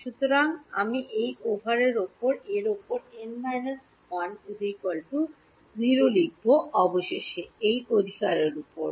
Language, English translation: Bengali, So, I have over this over this over this over this and finally, over this right